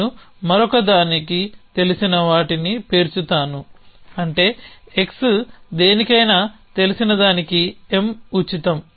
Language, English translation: Telugu, I will stack known to something else which means M is free for whatever that x is to be stack known to that